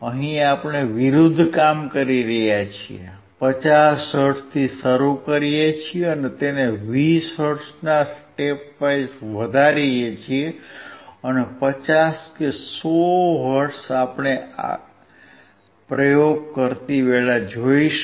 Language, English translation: Gujarati, Here we are doing opposite, we start from 50 hertz, we increase it at a step of 20 hertz or 50 or 100 hertz does not matter when we will see the experiment